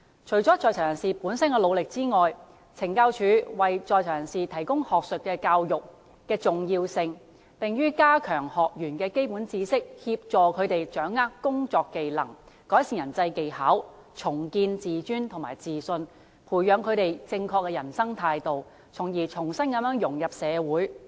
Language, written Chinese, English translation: Cantonese, 除了在囚人士本身的努力之外，懲教署為在囚人士提供學術教育的重要性，在於加強學員的基本知識，協助他們掌握工作技能，改善人際技巧，重建自尊及自信，培養正確的人生態度，從而重新融入社會。, Apart from inmates own efforts CSD also plays an important role in providing academic education to inmates which includes enhancing inmates basic knowledge helping inmates grasp working skills improving their interpersonal relationships rebuilding their self - esteem and confidence as well as fostering a correct attitude towards life thereby preparing them to integrate into society again